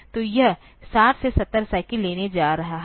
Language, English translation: Hindi, So, that is going to take say 60 to 70 cycles